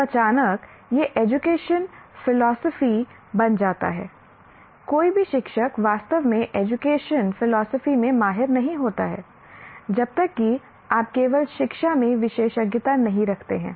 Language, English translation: Hindi, Every, no teacher actually specializes in education philosophy unless you are specializing in only in education